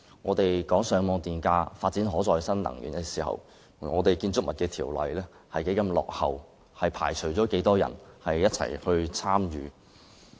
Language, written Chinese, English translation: Cantonese, 我們討論推動上網電價、發展可再生能源的時候，香港的《建築物條例》仍然十分落後，以致缺乏市民參與。, While we are discussing the promotion of feed - in tariff and development of renewable energy Hong Kongs Buildings Ordinance is still lagging far behind the times and hence lacking public participation